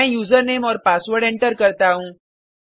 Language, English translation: Hindi, Let me enter the Username and Password